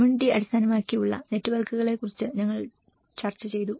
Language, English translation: Malayalam, And we did also discussed about the community based networks